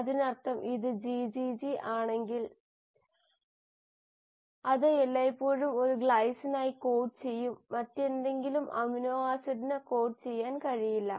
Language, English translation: Malayalam, It means if it is GGG it will always code for a glycine, it cannot code for any other amino acid